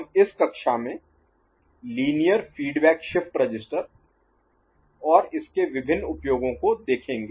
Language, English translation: Hindi, We shall look at what is called Linear Feedback Shift Register in this particular class and its different uses